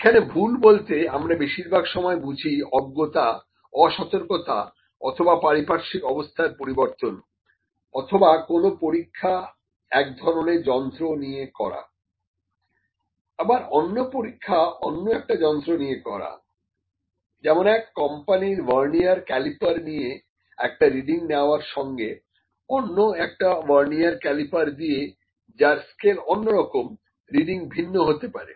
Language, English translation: Bengali, The mistake is sometime like something an ignorance, carelessness or environmental conditions are different some experiment using, one instrument another experiment using, second instrument for instance you might be using vernier calliper of one company for taking one reading, and vernier calliper which is having different type of scale for taking another reading